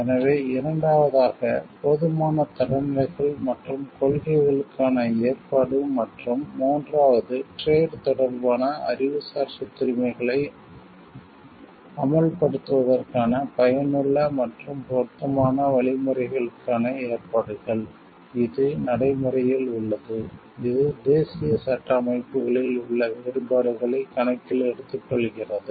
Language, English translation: Tamil, So, second is the provision for adequate standards and principles and third is provisions for effective and appropriate means for the enforcement of trade related Intellectual Property Rights which is practical in the sense, it takes into account differences in the national legal system